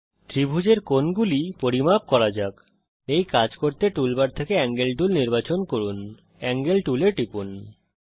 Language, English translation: Bengali, Lets measure the angles for this triangle, To do this Lets select the Angle tool from the tool bar, click on the Angle tool